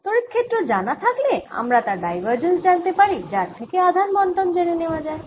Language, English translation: Bengali, if i know the electric field, then divergence of electric field gives me the charge distribution